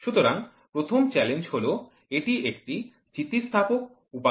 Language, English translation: Bengali, So, the first one the challenges it is an elastic material